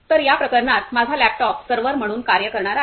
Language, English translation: Marathi, So, in this case, my laptop is going to act as a server